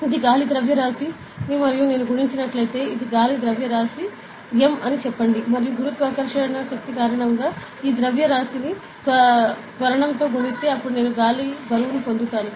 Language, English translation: Telugu, It is the mass of air and if I multiplied with, so this is the mass air say m; and if I multiplied this mass with acceleration due to gravity, then I get the weight of air, ok